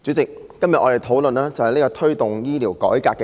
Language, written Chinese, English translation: Cantonese, 主席，我們今天討論題為"推動醫療改革"的議案。, President the motion we are discussing today is entitled Promoting healthcare reform